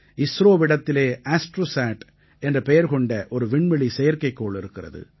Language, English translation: Tamil, ISRO has an astronomical satellite called ASTROSAT